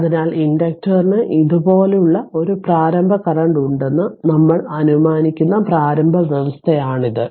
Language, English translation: Malayalam, So, this is the initial condition we assume that inductor has an initial current like this , so let me clear it